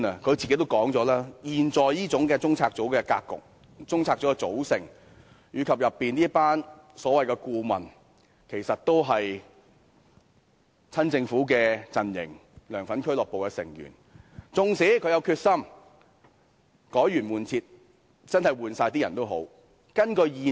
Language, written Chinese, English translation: Cantonese, 鑒於中策組現時這種格局和組合，而當中這一群所謂顧問其實都是親政府陣營或"梁粉俱樂部"的成員，縱使她真有決心改弦易轍，要換掉所有人，也絕非易事。, She has said it herself . Given the existing structure and composition of CPU in which this bunch of so - called members are actually members of the pro - Government camp or LEUNGs fan club it is by no means easy to replace all these people even if she is really determined to carry out an overhaul